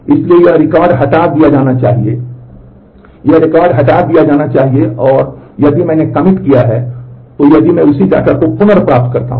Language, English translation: Hindi, So, this record is supposed to be get deleted and this record is supposed to get deleted and, after I have done the commit then again if I do the same data retrieval